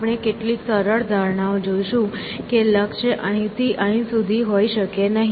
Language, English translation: Gujarati, simplifying assumptions that the goal not can be anywhere from here to here